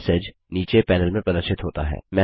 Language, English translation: Hindi, The message is displayed in the panel below